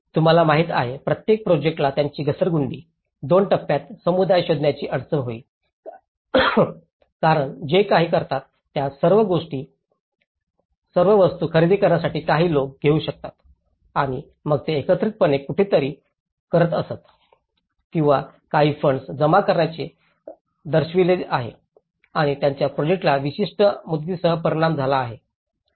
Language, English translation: Marathi, You know, every project will have its downturns, difficulty for communities for finding finances in the stage two because what they do is in order to procure the materials some people are able to afford some people may not and then they used to collectively do someplace or shows to gather some funds and that has also has an impact on the specific deadlines of the project